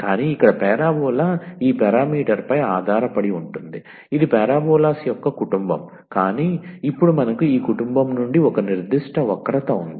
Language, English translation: Telugu, But here that parabola depends on this parameter it was a family of the parabolas, but now we have a particular curve out of this family